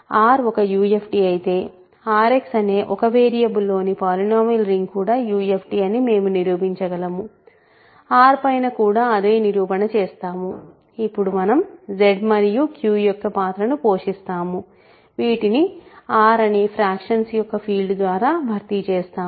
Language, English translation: Telugu, We can prove that if R is a UFD then R X is the polynomial ring in one variable over R is also a UFD, exactly the same proof carries over R, now we will play the role of Z and Q will be replaced by the field of fractions of R everything goes through